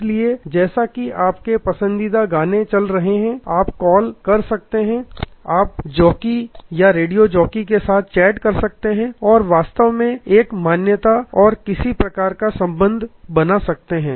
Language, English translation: Hindi, So, as your favorite songs are getting played, you can call in you can chat with the jockey, radio jockey and you can actually create a recognition and some sort of relationship